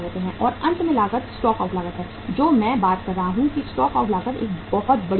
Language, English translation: Hindi, And finally the cost is the stock out cost, which I have been talking that stock out cost is a very big cost